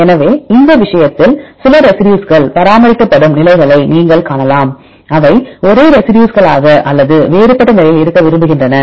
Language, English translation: Tamil, So, in this case you can see the positions some residues are maintained so they like to be the same residue or different position